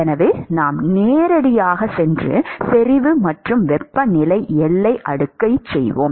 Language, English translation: Tamil, So, we will directly go and do concentration and temperature boundary layer